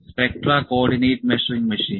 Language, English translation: Malayalam, Spectra Co ordinate Measuring Machine